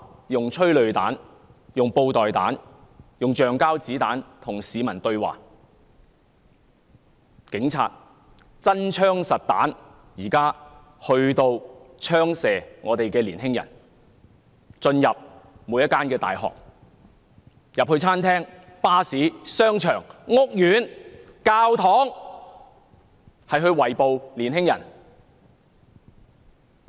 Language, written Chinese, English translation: Cantonese, 用催淚彈、布袋彈、橡膠子彈與市民對話，警察現在用真槍實彈來射擊香港的年青人，並進入每間大學、餐廳、巴士、商場、屋苑和教堂圍捕年青人。, Is it using tear gas canisters beanbag rounds and rubber bullets as a means of dialogue with the public? . Police officers are now firing live rounds at the young people of Hong Kong . They went into every university restaurant bus shopping mall housing estate and church to arrest young people